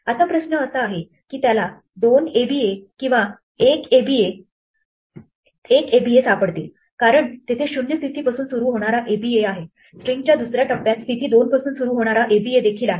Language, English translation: Marathi, Now the question is, will it find two aba s or 1 aba, because there is an aba starting at position 0, there is also an aba in the second half of the string starting at position 2